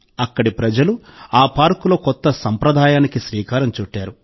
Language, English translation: Telugu, In this park, the people here have started a new tradition